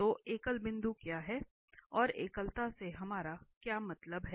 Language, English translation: Hindi, So, what is the singular point and what do we mean by singularities